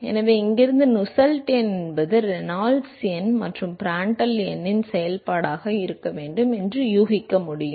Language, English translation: Tamil, So, from here one could guess that the Nusselt number should be a function of Reynolds number and Prandtl number